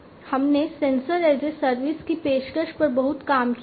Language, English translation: Hindi, We have done a lot of work on offering sensors as a service